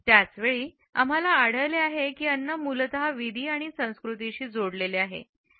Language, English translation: Marathi, At the same time we find that food is linked essentially with rituals and with culture